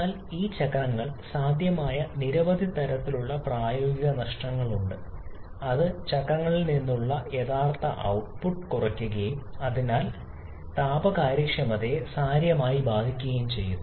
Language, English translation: Malayalam, But there are several kinds of practical losses that is possible in those cycles which reduces the actual output from the cycles and therefore can significantly affect the thermal efficiency